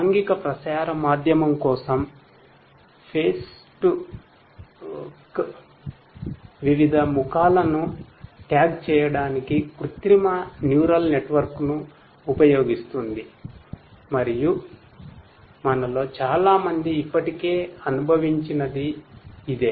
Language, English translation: Telugu, For social media, Facebook uses artificial neural network for tagging different faces and this is what most of us have already experienced